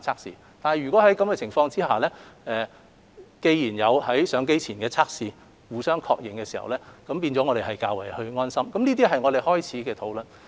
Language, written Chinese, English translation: Cantonese, 儘管如此，先要有上機前互相確認的檢測，這做法能令我們較為安心，也是我們起始的討論重點。, Nevertheless the prerequisite is that a mutually recognized pre - boarding test should be put in place as this will give us peace of mind which it is also the focal point at the first stage of our discussion